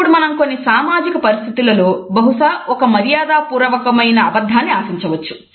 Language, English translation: Telugu, Now there are certain social situations where a polite lie is perhaps expected